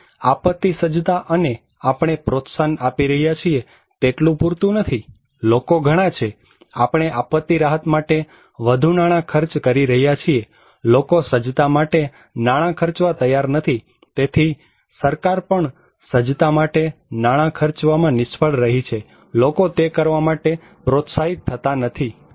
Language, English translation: Gujarati, So, disaster preparedness which we are promoting it is not enough, people are more, we are spending more money on disaster relief, people are not ready to spend money on preparedness so, government is also failing to spend money on preparedness, people are not motivated to do it